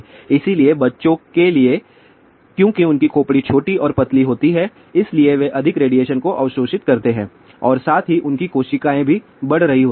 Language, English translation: Hindi, So, for children because their skulls are smaller and thinner so, they absorb the more radiation and also their cells are growing